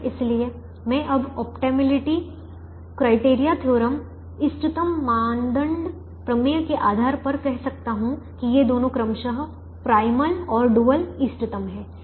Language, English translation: Hindi, therefore, based on the optimality criterion theorem, i can now say that both these are optimum to primal and dual respectively